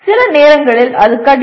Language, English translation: Tamil, Sometimes it is difficult